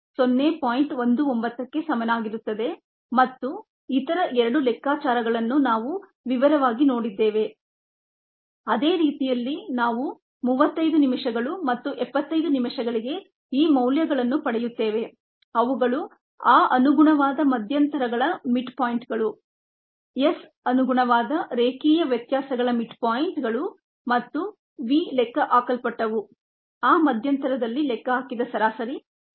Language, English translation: Kannada, the same way we get these values for thirty five minutes and seventy five minutes, which are the mid points of those corresponding intervals, s, mid points of the corresponding linear variations and v that was calculated, the average rate that was calculated in that interval